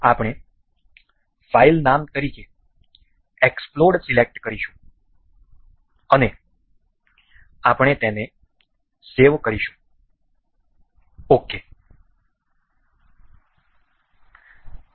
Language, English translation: Gujarati, We will select explode as file name and we will mark it save ok